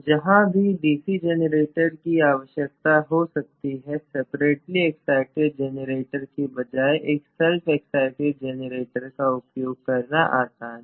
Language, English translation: Hindi, Wherever, DC generator may be needed it is easier to use a self excited generator rather than separately exited generator